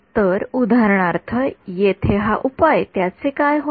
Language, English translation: Marathi, So, for example, this solution over here, what will it become